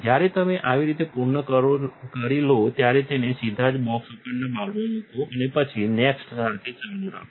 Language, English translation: Gujarati, When you are done with one path just put it directly up into the bowl on the box and then continue with the next